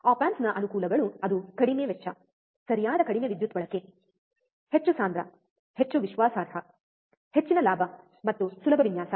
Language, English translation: Kannada, The advantages of op amps are it is low cost, right less power consumption, more compact, more reliable, high gain and easy design